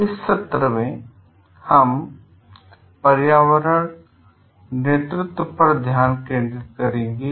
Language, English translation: Hindi, In this session we will focus on environmental leadership